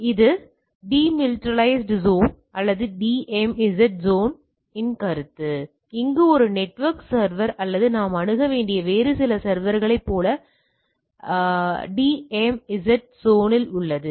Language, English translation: Tamil, So, that is the concept of demilitarized zone or DMZ zone where the external server which need to be accessed like a for example, web server or some other servers we need to be accessed they are in the DMZ zone